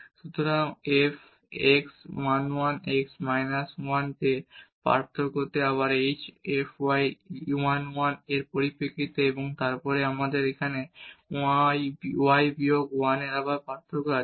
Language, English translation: Bengali, So, the f x at 1 1 x minus 1 so, this difference again in terms of h f y 1 1 and then we have y minus 1 again the difference here